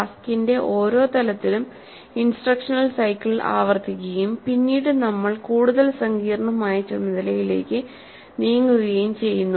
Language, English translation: Malayalam, At each level of the task, the instruction cycle is repeated and then we move to a more complex task